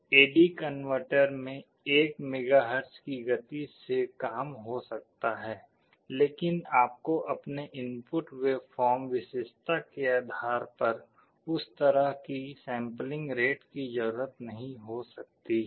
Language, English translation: Hindi, The A/D converter may be working at 1 MHz speed, but you may not be requiring that kind of a sampling rate depending on your input waveform characteristic